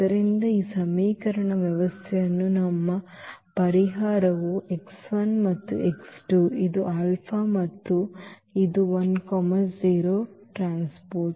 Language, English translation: Kannada, So, our solution of this system of equation is x 1 and x 2 this alpha and this 1 0